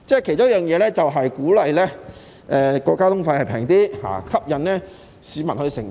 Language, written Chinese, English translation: Cantonese, 其中一個做法便是令交通費便宜點，以吸引市民乘搭。, To this end one of the ways is to make transport fares less expensive in order to attract patronage by passengers